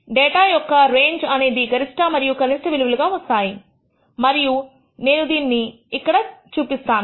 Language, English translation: Telugu, The range of the data can be obtained as the maximum and minimum value and I have just simply reported it